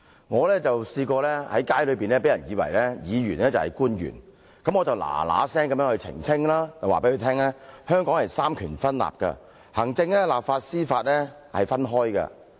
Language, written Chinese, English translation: Cantonese, 我曾在街上被市民誤以為是官員，我立刻澄清，告訴他香港實行三權分立，行政、立法和司法是分開的。, A member of the public in the street once mistook me for a government official and I immediately clarified and told him about the separation of powers between the executive legislature and judiciary in Hong Kong